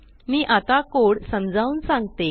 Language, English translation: Marathi, I will explain the code